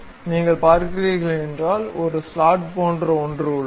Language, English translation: Tamil, If you are seeing, there is something like a slot